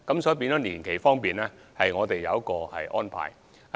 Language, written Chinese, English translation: Cantonese, 所以，在年期方面我們有靈活安排。, Hence we do have some flexibility in terms of the operation duration